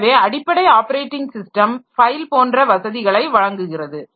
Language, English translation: Tamil, So, basic operating system is providing us facilities like file and all